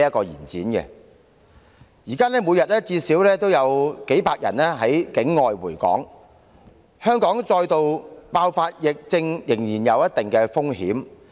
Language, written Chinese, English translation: Cantonese, 現時每天最少有數百人從境外回港，香港仍有再度爆發疫症的一定風險。, Each day at least several hundred people return to Hong Kong from overseas and the territory is still exposed to certain risk of another wave of epidemic outbreak